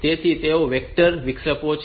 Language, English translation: Gujarati, So, they are be vectored interrupt